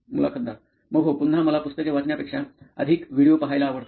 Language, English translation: Marathi, So yeah, again I like to watch more videos than reading books